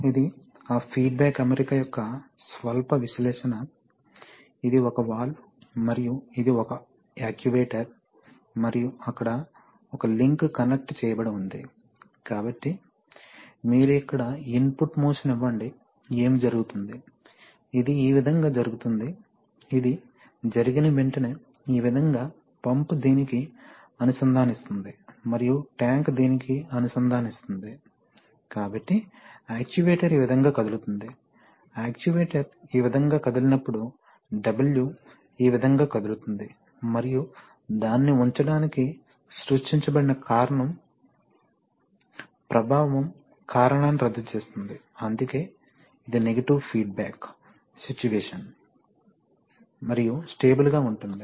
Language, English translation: Telugu, This shows that this, this shows, this is a slight little analysis of that feedback arrangement, that is, if the, suppose you have, this is, this is a valve and this is an actuator and there is a, there is a connecting link, so you give an input motion here, what will happen, this will initially shift this way, the moment this shift this way what happens is that, the pump connects to this and the tank connects to this, so the actuator moves this way, when the actuator moves this way, the W moves this way and that will tend to keep it, put it up, so it, so the cause that was created, the effect will nullify the cause that is why it is a negative feedback situation and stable